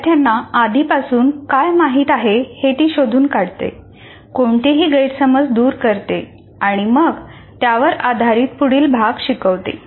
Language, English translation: Marathi, She finds out what students already know, corrects any misconceptions, and then builds onto this